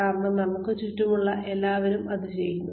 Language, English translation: Malayalam, Just because, everybody else around us is doing it